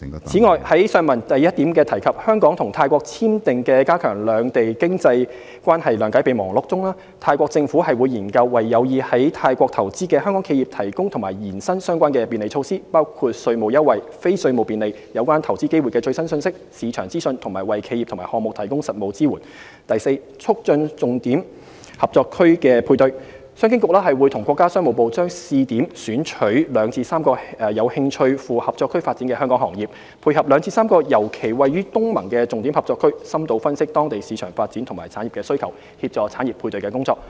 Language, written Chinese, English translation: Cantonese, 此外，在上文第一部分提及香港與泰國簽訂的"加強兩地經濟關係諒解備忘錄"中，泰國政府會研究為有意在泰國投資的香港企業提供及延伸相關便利措施，包括稅務優惠、非稅務便利、有關投資機會的最新信息、市場資訊，以及為企業及項目提供實務支援；及促進重點合作區配對：商經局會與國家商務部將試點選取2至3個有興趣赴合作區發展的香港行業，配合2至3個尤其位於東盟的重點合作區，深度分析當地市場發展及產業需求，協助產業配對合作。, In addition in the above mentioned memorandum of understanding entered into by the HKSAR Government and the Government of Thailand the latter will explore the possibility of providing and extending relevant facilitation measures for Hong Kong enterprises interested in investing in Thailand including tax incentives non - tax facilitation updated and useful information on investment opportunities market intelligence and hands - on support for companies and projects; and d Promoting matching with selected ETCZs the Commerce and Economic Development Bureau and the Ministry of Commerce will try out on a pilot basis the matching of two to three Hong Kong industries interested in developing businesses in ETCZs with two to three selected zones particularly those located in ASEAN . In - depth analyses on local market situation and industry needs will also be conducted with a view to facilitating industry matching and cooperation